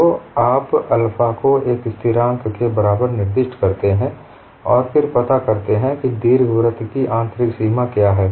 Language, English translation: Hindi, So you specify alpha equal to a constant, and then a find out what is the inner boundary of the ellipse, and you have alpha and beta